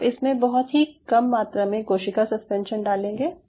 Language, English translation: Hindi, you put your first a small amount of cell suspension, very small amount